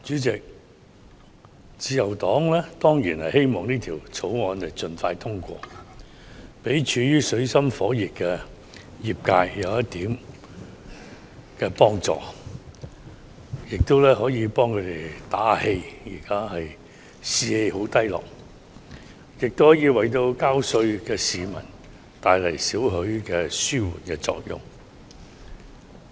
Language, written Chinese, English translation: Cantonese, 主席，自由黨當然希望《2019年稅務條例草案》盡快通過，給處於水深火熱的業界一點幫助，為他們打氣，因為現時業界士氣低落，亦可為繳稅的市民帶來少許紓緩作用。, President the Liberal Party certainly hopes that the Inland Revenue Amendment Bill 2019 the Bill is passed as soon as possible in order to offer some help and encouragement to the industry caught in dire straits and a low morale . The Bill will also somewhat bring relief to taxpayers